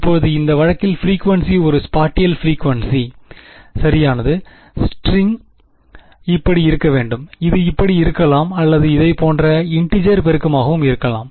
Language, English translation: Tamil, Now in this case frequency is a spatial frequency right, the string can be like this, it can be like this or you know integer multiples like this right